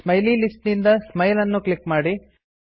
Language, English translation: Kannada, From the Smiley list, click Smile